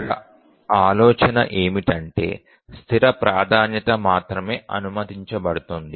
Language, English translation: Telugu, The idea here is that we allow only a fixed set of priority